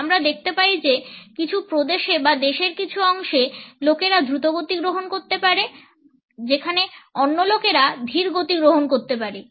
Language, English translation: Bengali, We find that in certain provinces or in certain parts of the country people may adopt a faster pace, whereas in some others people may adopt a slower pace